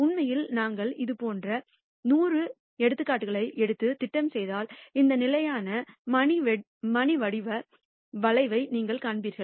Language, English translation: Tamil, In fact, if I take 100 such examples and I plot, you will nd this standard bell shaped curve